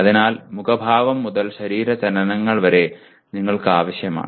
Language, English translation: Malayalam, So you require right from facial expressions to body movements you require